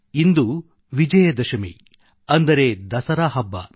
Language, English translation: Kannada, Today is the festival of Vijaydashami, that is Dussehra